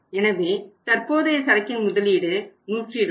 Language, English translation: Tamil, So current way investment in the inventory is 120